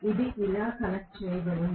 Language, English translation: Telugu, This is connected like this